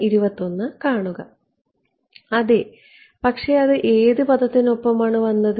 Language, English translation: Malayalam, Yeah, but it accompanied which term